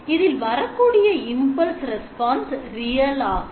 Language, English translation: Tamil, So here you find that the impulse response is complex